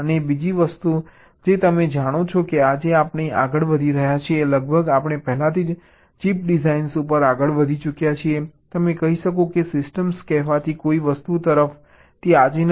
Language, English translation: Gujarati, and other thing: you know that today we are moving almost we have already moved, you can say so that is not today ah toward something called system on chip designs